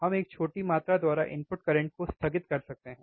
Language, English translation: Hindi, We can dieffer the input current by small amount